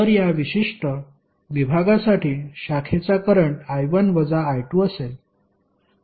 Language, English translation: Marathi, So for this particular segment the branch current would be I1 minus I2